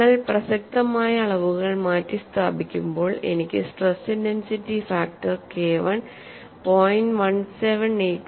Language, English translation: Malayalam, After substituting the relevant quantities, the stress intensity factor K 1 is equal to 0